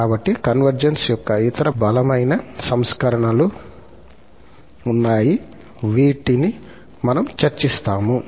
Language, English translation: Telugu, So, there are other stronger versions of the convergence, which we will just discuss